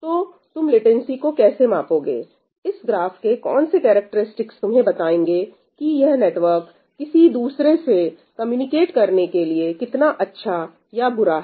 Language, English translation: Hindi, what characteristic of this graph will tell you the latency how good or bad the network is with respect to communicating with somebody far away